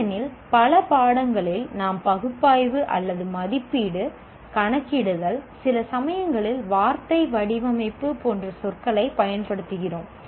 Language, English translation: Tamil, Because in many courses we use the word analyze or evaluate, calculate, sometimes even the word design, all these words are used in interchangeable manner